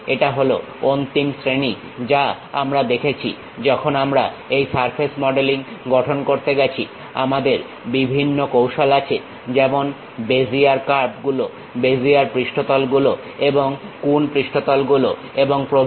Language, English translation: Bengali, This in the last classes, we have seen, when we are going to construct this surface modeling we have different strategies like Bezier curves, Bezier surfaces, and coon surfaces and so on